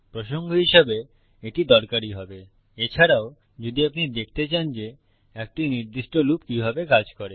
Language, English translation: Bengali, This will be useful as a reference also if you need to refer to how a particular loop works